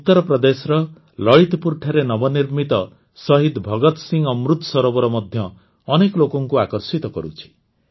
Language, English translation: Odia, The newly constructed Shaheed Bhagat Singh Amrit Sarovar in Lalitpur, Uttar Pradesh is also drawing a lot of people